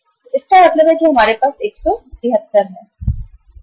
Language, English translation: Hindi, So it means we have 173